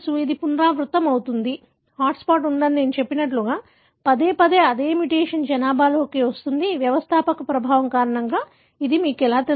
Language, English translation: Telugu, It could be recurrent, as I said there is a hot spot, again and again the same mutation comes into the population, how do you know it is because of founder effect